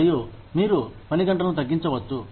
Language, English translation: Telugu, And, you could, maybe, reduce work hours